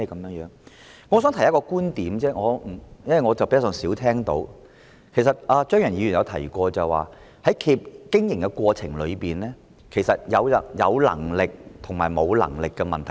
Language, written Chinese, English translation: Cantonese, 我只想提出一個觀點，是我比較少聽到的，其實張宇人議員也曾提及，就是企業在經營過程中是否有能力的問題。, I just wish to make a point which I rarely heard and in fact Mr Tommy CHEUNG has also mentioned . It is the question of whether an enterprise has the ability to run the business